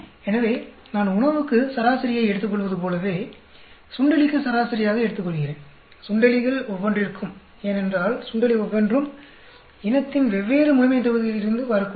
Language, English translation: Tamil, So, just like I take average for the food, I take the average for the mouse, each one of the mice, because each one of the mice could be coming from a different population of the species